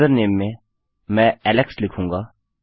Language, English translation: Hindi, In user name, Ill say Alex